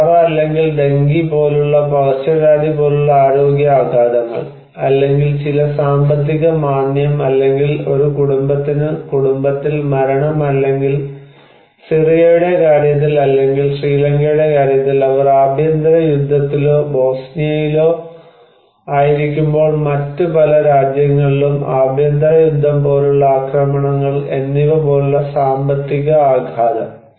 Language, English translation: Malayalam, And health shocks like epidemic like cholera or even dengue let us say, or economic shocks like some financial recessions or maybe death in the family for a household or maybe violence like civil war in case of Syria or in many other countries in case of Sri Lanka when they were in civil war or in case of Bosnia